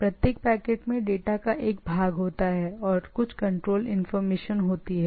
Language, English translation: Hindi, Each packet contains a portion of the data plus some control information